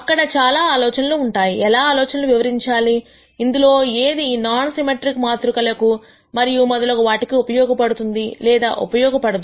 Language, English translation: Telugu, There are several ideas; how, how do these ideas translate, which ones of these are applicable or not applicable for non symmetric matrices and so on